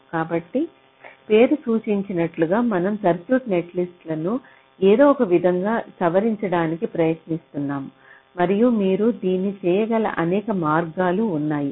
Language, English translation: Telugu, so, as the name implies, we are trying to modify ah circuit netlist in some way and there are many ways in which you can do that